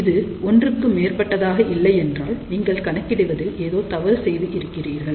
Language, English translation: Tamil, If it is not greater than 1 that means, you have done calculation mistake ok